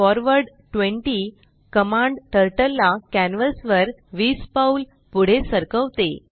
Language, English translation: Marathi, forward 20 commands Turtle to move 20 steps forward on the canvas